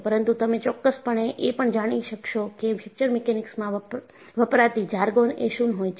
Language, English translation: Gujarati, But, you will definitely come across, what is a jargon used in Fracture Mechanics